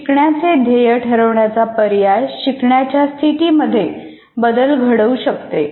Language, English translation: Marathi, So the choice of learning goal will make a difference to the instructional situation